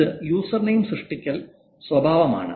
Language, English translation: Malayalam, User name creation behavior